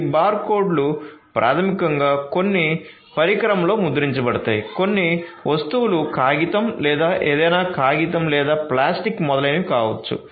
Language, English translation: Telugu, These barcodes are basically printed on some device some goods may be paper or whatever paper or plastic and etcetera